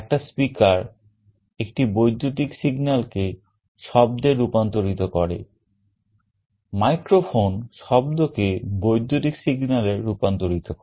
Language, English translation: Bengali, A speaker converts an electrical signal to sound; microphone converts sound into electrical signals